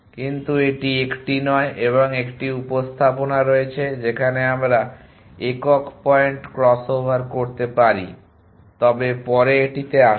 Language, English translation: Bengali, But this is not that 1 an there is 1 representation in which we can do single point cross over, but will come to that later